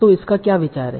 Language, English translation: Hindi, So what is the idea